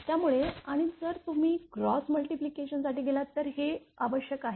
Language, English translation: Marathi, Therefore, and if you go for cross multiplication this is required